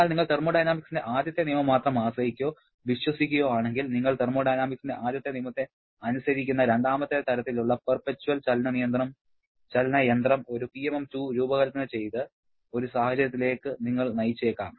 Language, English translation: Malayalam, But if you are depending or relying only on the first law of thermodynamics, then you may lead to a situation where you have conceptually designed one PMM II a perpetual motion machine of the second kind which satisfies the first law of thermodynamics